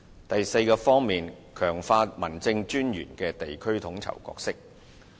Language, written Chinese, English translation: Cantonese, 第四，強化民政事務專員的地區統籌角色。, Fourth strengthening the role of District Officers in district coordination